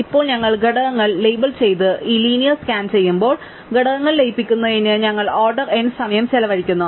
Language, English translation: Malayalam, Now, when we label the components and do this linear scan we are spending order n time in order to merge components